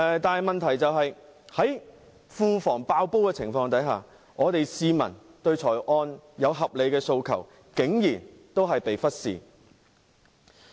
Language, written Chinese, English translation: Cantonese, 但問題是，在庫房"爆煲"的情況下，香港市民對預算案的合理訴求竟然仍被忽視。, The problem is that with the Treasury bursting with cash the reasonable requests of the people in respect of the Budget were still ignored